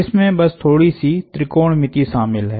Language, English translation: Hindi, That just involves a little bit of trigonometry